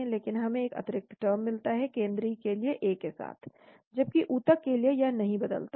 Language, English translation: Hindi, But we get an extra term with A coming into the picture for the central, whereas for the tissue it does not change